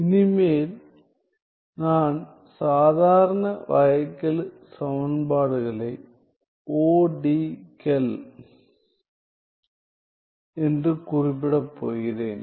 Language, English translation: Tamil, I from now on I am going to refer ordinary differential equations as ODEs